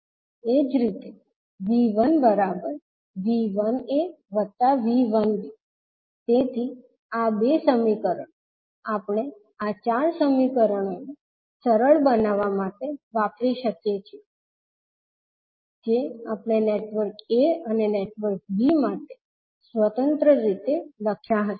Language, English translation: Gujarati, Similarly, V 1 can be written as V 1a plus V 1b so these two equations we can use to simplify these four equations which we wrote independently for network a and network b